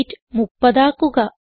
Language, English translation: Malayalam, Change weight to 30